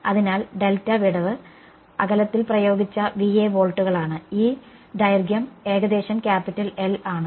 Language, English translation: Malayalam, So, delta gap was Va volts applied across the distance of delta right, this length was some capital L right